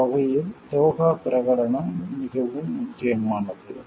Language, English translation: Tamil, The Doha Declaration is very important in that respect